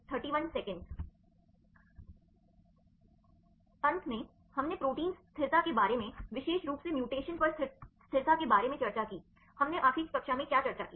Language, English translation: Hindi, In the last; we discussed about protein stability specifically on stability upon mutation right; what did we discuss in the last class